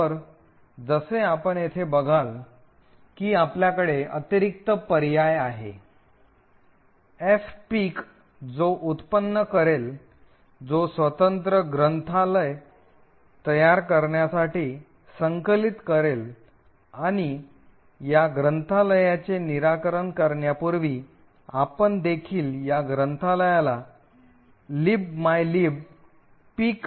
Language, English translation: Marathi, So, as you see here we have in additional option minus F pic which would generate, which would cost the compiler to generate a position independent code library and as before we also dump disassembly of this library in libmylib pic